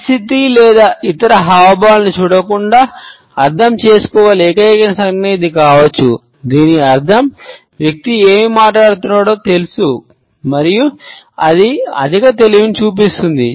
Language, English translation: Telugu, This is probably the only gesture that can be interpreted without looking at the situation or other gestures, it means that the person knows what he is talking about and it shows high intellect